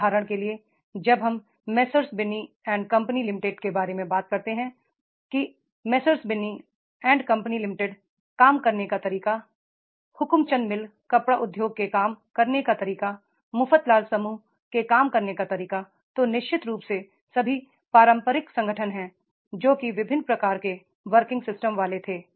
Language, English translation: Hindi, For example, when we talk about the Messerschbinnian company, in the Messerzbinian company, the way of working, the Hukumchen mill textile industry, the way of working, the mafatlal group way of working, then definitely these are the traditional organizations which we are having the different type of the working system